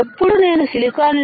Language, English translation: Telugu, I have shown you types of silicon